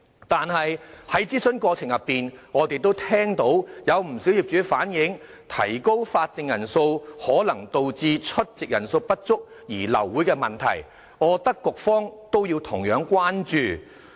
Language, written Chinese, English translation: Cantonese, 可是，在諮詢過程中，我們聽到不少業主反映，指出提高法定人數可能導致出席人數不足而流會的問題，我認為局方同樣要關注這點。, However during the consultation we heard many owners express the worry that raising the quorum might result in aborted meetings due to a lack of quorum . I think the Bureau has to pay attention to this point